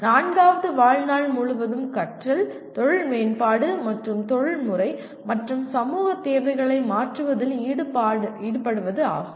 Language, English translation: Tamil, The fourth one is engage in lifelong learning, career enhancement and adopt to changing professional and societal needs